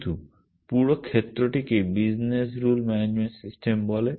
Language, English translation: Bengali, But there is this whole field called business rule management systems